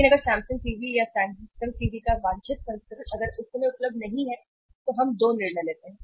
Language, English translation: Hindi, But if the Samsung TV or that desired variant of the Samsung TV if it is not available at that time we take two decisions